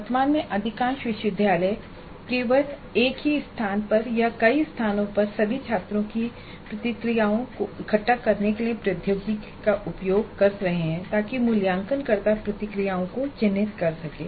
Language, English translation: Hindi, At present, most of the universities are using technology only to gather all the student responses at a single place or at multiple places, multiple places for evaluators to mark the responses